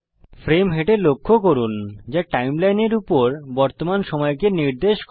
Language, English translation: Bengali, Notice the frame head which indicates the current position on the timeline